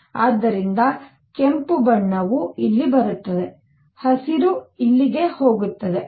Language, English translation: Kannada, So, red color comes here green goes here